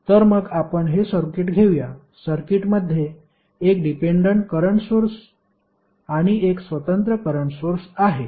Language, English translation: Marathi, So, let us take this circuit, this circuit contains one dependent current source and one independent current source, right